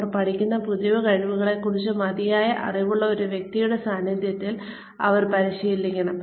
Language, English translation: Malayalam, Should be practiced by them, in the presence of a person, who knows enough about the new skills that they are learning